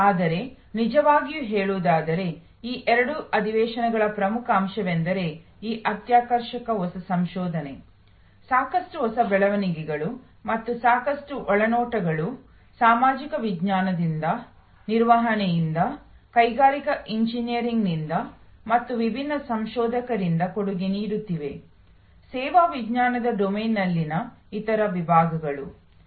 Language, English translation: Kannada, But, really speaking I think the highlight of these two sessions will be this exciting new area of lot of research, lot of new developments and lot of insights that are being contributed by researcher from social science, from management, from industrial engineering and from different other disciplines in the domain of service science